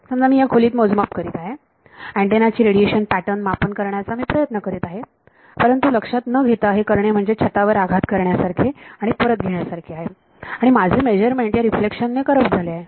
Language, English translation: Marathi, Supposing I do a measurement in this room I am trying to measure the radiation pattern of an antenna, but without realizing something is hit the roof and come back and my measurement is corrupted by these reflection I want to cut it out